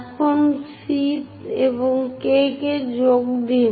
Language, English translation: Bengali, Now join C and point K